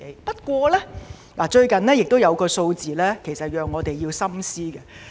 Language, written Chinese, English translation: Cantonese, 不過，最近有一項數字，讓我們要深思。, However there is a recent figure to which we must give deep thought